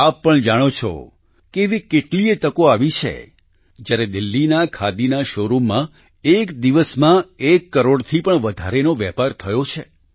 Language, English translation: Gujarati, You too know that there were many such occasions when business of more than a crore rupees has been transacted in the khadi showroom in Delhi